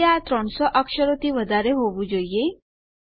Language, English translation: Gujarati, That should be more than 300 characters now